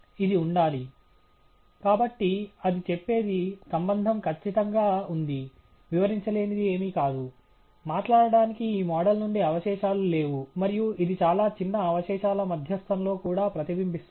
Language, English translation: Telugu, It has to be, so what it says is, the relationship is perfect, there is nothing left unexplained, there is no residual from this model so to speak, and that’s also reflected in the median of the residuals are extremely small